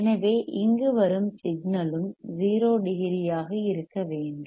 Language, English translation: Tamil, So, the signal that is coming over here should also be 0 degree